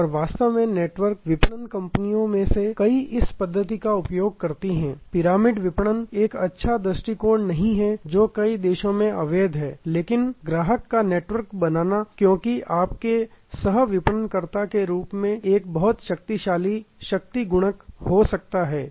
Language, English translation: Hindi, And that will in fact, many of the network marketing companies use this method, the pyramid marketing is not a good approach it is illegal in many countries, but creating a network of customers as your co marketer can be a very powerful force multiplier